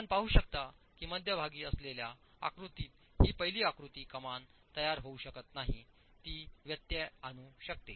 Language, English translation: Marathi, You can see that in the figure, the figure in the middle, the first figure, the arch cannot form